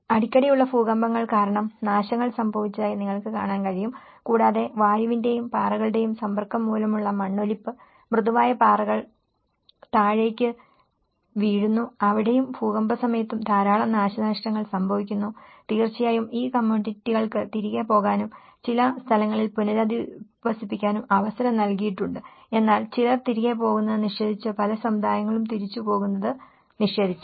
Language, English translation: Malayalam, And you can see that destructions have happened because of the frequent earthquakes and also the erosion due to the exposure to the air and also the rocks, the soft rock keeps falling down and a lot of destruction over there and during the earthquakes and of course, these communities were given an opportunity to go back and resettle in someplace but some have they denied going back, many of the communities they denied going back